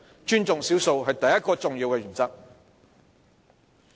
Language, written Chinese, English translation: Cantonese, 尊重少數是第一個重要的原則。, Thus the first important principle is to respect the minority